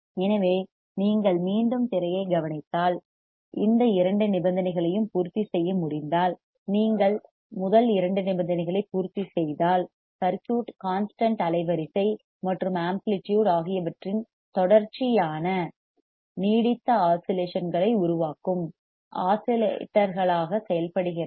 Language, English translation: Tamil, So, if you come back on the screen what you see is that if you can satisfy this both the conditions, if you satisfy first two condition, then the circuit works as an oscillator producing a sustained oscillations of cost constant frequency and amplitude